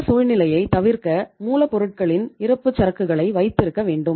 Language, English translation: Tamil, So it means just to avoid that situation you have to keep the inventory of raw material